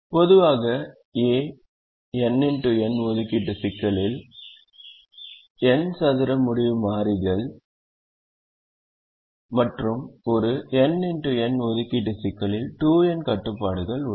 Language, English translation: Tamil, in a three by three assignment problem and in general in a n by n assignment problem, there are n square decision variables and two n constraints